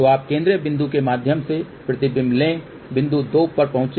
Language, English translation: Hindi, And then from here go through the central point reach to point Z 2